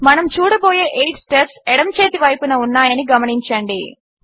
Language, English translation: Telugu, Notice the 8 steps that we will go through on the left hand side